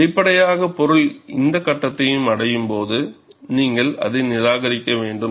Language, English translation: Tamil, So, obviously, when the component reaches this stage, you have to discard it